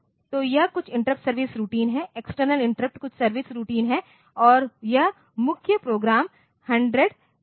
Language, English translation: Hindi, So, this is some interrupt service routine the external interrupt some service routine and this is the main program is at 100